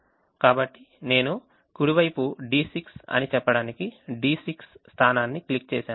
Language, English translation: Telugu, so i just click the d six position to say that the right hand side is d six